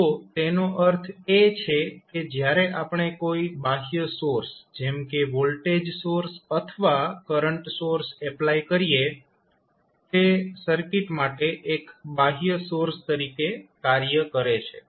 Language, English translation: Gujarati, So, that means when we apply any external source like voltage source we applied source or maybe the current source which you apply so that acts as a external source for the circuit